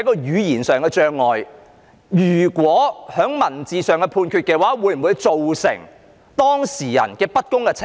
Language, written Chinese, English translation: Cantonese, 如果以書面作出判決，會否對當事人不公平？, Will the disposal on paper be unfair to the applicant?